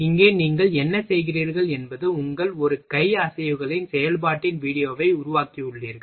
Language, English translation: Tamil, Here what you are doing you have make a video of your operation of your both hand movements of your hand